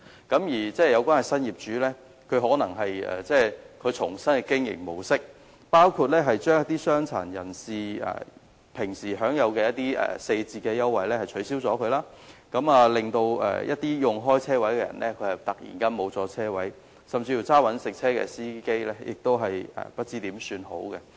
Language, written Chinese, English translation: Cantonese, 新的業主採用新的經營模式，包括取消傷殘人士平時享有的四折優惠，令原本使用車位的人士突然失去車位，一些職業司機失去車位更不知如何是好。, New owners adopt new operation models which include the cancellation of 60 % discount concession used to be provided to persons with disabilities and implementation of measures rendering car park tenants losing their original parking spaces suddenly . In fact to certain professional drivers they really do not know what to do when they lose their parking spaces